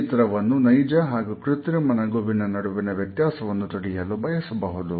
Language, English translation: Kannada, They further described the difference between the genuine and fake smiles